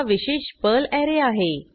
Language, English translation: Marathi, @ is a special Perl array